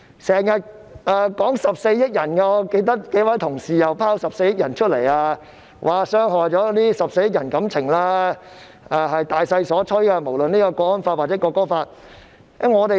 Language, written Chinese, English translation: Cantonese, 他們又經常提到14億人，我記得有幾位同事都說我們傷害了14億人的感情，又說不論港區國安法或《國歌法》都是大勢所趨。, Also they often mention the population of 1.4 billion . I recall a number of colleagues saying that we have hurt the feelings of the 1.4 billion people and that the Hong Kong national security law and the National Anthem Law are inevitable